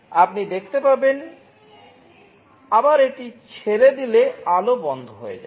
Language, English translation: Bengali, You see if it is released again light will turn off